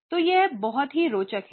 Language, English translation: Hindi, So, this is something very interesting